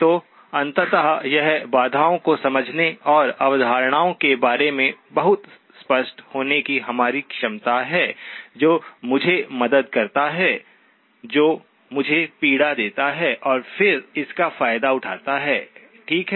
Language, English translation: Hindi, So ultimately it is our ability to understand the constraints and be very clear about what are the concepts, what helps me, what hurts me, and then take advantage of that, okay